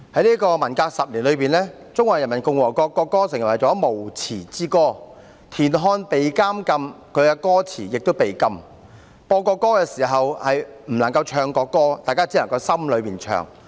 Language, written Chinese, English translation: Cantonese, 在文革10年中，中華人民共和國國歌成為了無詞之歌，田漢被禁，其詞亦被禁，播國歌不能唱國歌，只能在心裏唱。, During the 10 - year Cultural Revolution the national anthem of the Peoples Republic of China became a song with no lyrics . TIAN Han was banned and his lyrics were also banned . The national anthem could be played but not be sung